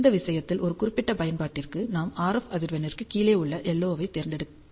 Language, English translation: Tamil, In this case we have chosen LO which is below the RF frequency which might be specific to an application